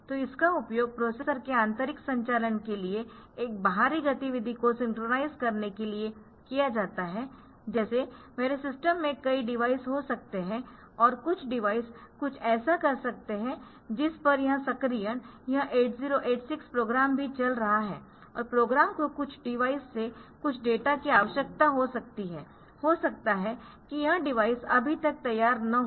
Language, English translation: Hindi, So, this is used to synchronise an external activity to the processors internal operations like there may be many devices in my system and some device may be doing something at which the this activation this 8086 program will also running and may be the program needs some data from some device that device may not be ready yet